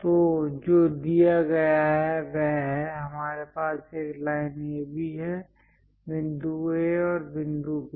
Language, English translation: Hindi, So, what is given is; we have a line AB; point A and point B